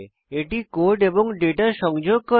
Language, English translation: Bengali, Class links the code and data